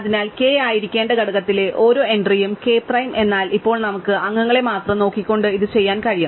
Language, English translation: Malayalam, So, every entry in component which k should be, k prime, but now we can do this by just looking at members